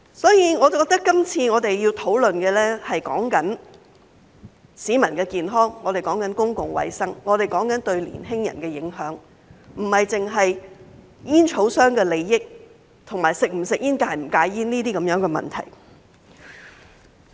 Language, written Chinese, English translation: Cantonese, 因此，我認為我們今次要討論的，是市民的健康、是公共衞生，以及對年輕人的影響，而不只是煙草商的利益，以及是否吸煙或戒煙等問題。, As such I think what we have to discuss this time is peoples health public health and the impact on the young people and not just the interests of tobacco companies and the question of whether or not one should smoke or quit smoking